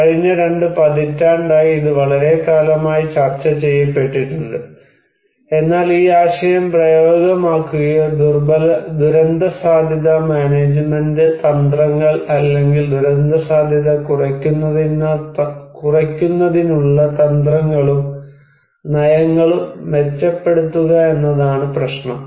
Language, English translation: Malayalam, For last two decades, it has been discussed at a length, but the problem is to put this idea into practice or to improve disaster risk management strategies or disaster risk reduction strategies and policies